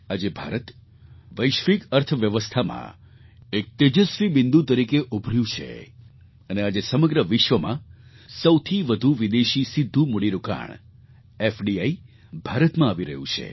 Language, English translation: Gujarati, Today India has emerged as a bright spot in the global economy and today the highest foreign direct investment or FDI in the world, is flowing to India